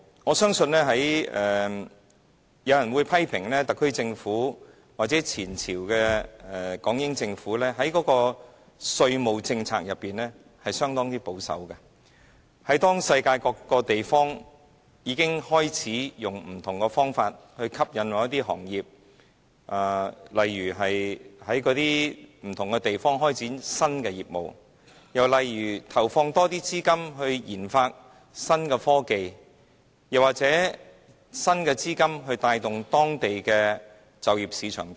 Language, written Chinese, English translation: Cantonese, 我相信有人會批評特區政府或前朝的港英政府在稅務政策上相當保守，因為世界各個地方已經開始以不同的方法來吸引某些行業，在當地不同的地方開展新的業務，又例如投放更多資金來研發新科技，或以新資金帶動當地的就業市場等。, In fact some people may well criticize the SAR Government or the previous British Hong Kong administration for the conservatism of their tax policies . The reason is that various places in the world have already employed different means that can induce certain industries to develop new businesses in different localities . And more capitals or new capitals are injected for the purposes of new technology research and boosting the local labour markets